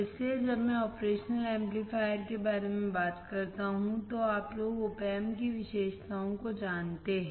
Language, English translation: Hindi, So, when I talk about operational amplifier, you guys know the characteristics of op amp